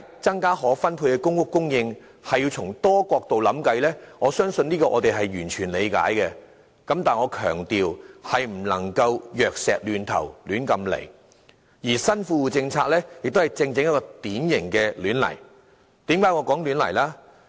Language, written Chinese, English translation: Cantonese, 增加可分配的公屋供應，須從多個角度想辦法，這點我們完全理解，但我想強調，當局總不能輕率行事，而新富戶政策亦便正正是一個輕率行事的典型例子。, We totally understand the authorities have to consider different aspects so as to come up with the solutions but I want to stress that even so they cannot press ahead lightly with any initiative . The new Well - off Tenants Policies is an example of such